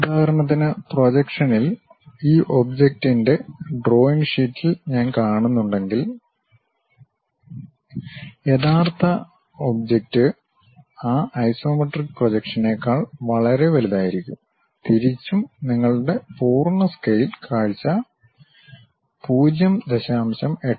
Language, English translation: Malayalam, So, for example, on the projection if I am seeing on the drawing sheet of this object; the original object will be much bigger than that isometric projection, vice versa your full scale view will be reduced to 0